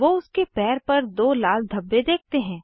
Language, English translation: Hindi, They see two red spots on the foot